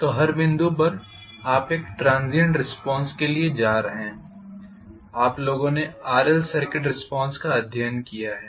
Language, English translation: Hindi, So at every point you are going to have a transient response, you guys have studied RL circuit response